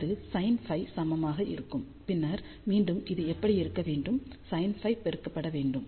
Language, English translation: Tamil, So, that will be equivalent to sin phi and then again this has to be taken along this that is to be multiplied by sin theta